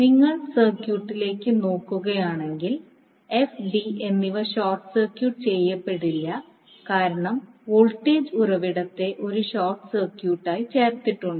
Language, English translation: Malayalam, So, if you go back to the circuit f and d are not short circuited because you have put voltage source as a short circuit